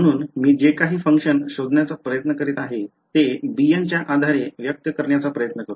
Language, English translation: Marathi, So, whatever function I am trying to find out phi, let me try to express it in the basis of b n ok